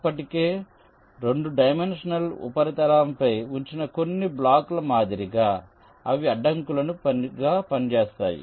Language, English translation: Telugu, like some of the blocks that are already placed on the two dimensional surface, they can work as obstacles